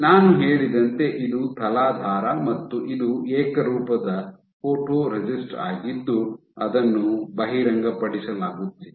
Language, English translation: Kannada, So, as I said that onto your substrate this is my substrate and this is the uniform photoresist which is being exposed